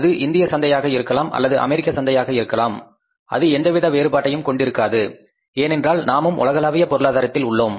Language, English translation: Tamil, So whether it is Indian market or American market doesn't make the difference because otherwise we are also a global economy